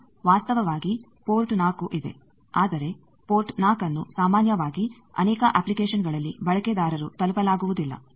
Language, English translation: Kannada, Now actually port 4 is there, but port 4 generally in many applications this is inaccessible to the user